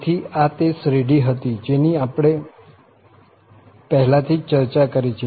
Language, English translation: Gujarati, So, this was the series, which we have already discussed